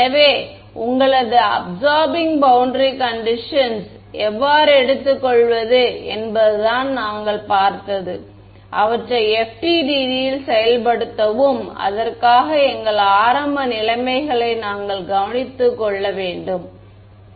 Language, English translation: Tamil, So, what we have what we have looked at is how to take your absorbing boundary conditions and implement them in FDTD and for that we need to take care of our very initial conditions right